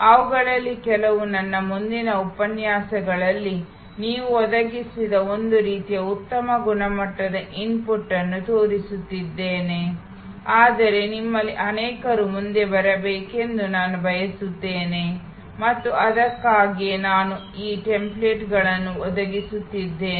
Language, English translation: Kannada, Some of those I will be showing in my future lectures, a kind of high quality input that you have provided, but I want many of you to come forward and that is why I am providing these templates